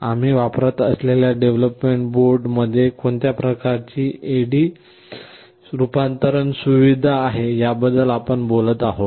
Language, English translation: Marathi, And we shall be talking about what kind of A/D conversion facilities are there in the ARM development board that we shall be using